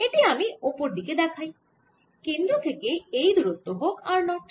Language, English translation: Bengali, so let me show it on the top: let this distance from the centre be r zero